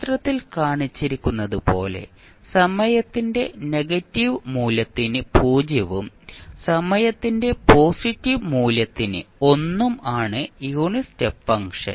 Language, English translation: Malayalam, Unit step function is 0 for negative value of time t and 1 for positive value of time t as shown in the figure